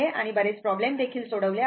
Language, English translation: Marathi, And so, many problems we have solved